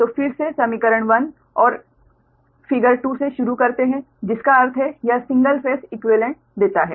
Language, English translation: Hindi, so, again, starting from equation one and figure two, that means this: one gives the single phase equivalent